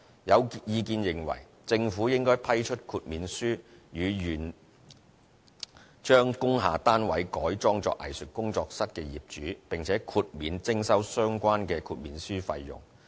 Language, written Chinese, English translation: Cantonese, 有意見認為政府應批出豁免書予願將工廈單位改裝作藝術工作室的業主，並且豁免徵收相關豁免書費用。, Opinions have it that the Government should grant waivers to industrial building owners who are willing to convert their units into studios and exempt these owners the payment of the relevant waiver fees